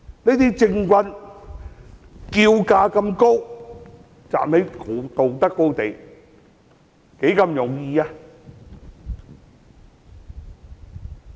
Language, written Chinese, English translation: Cantonese, 這些政棍叫價這麼高，站在道德高地，多麼容易！, Those political scoundrels ask for such a high price . How easy it is for them to take a moral high ground!